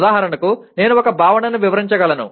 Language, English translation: Telugu, For example I can describe a concept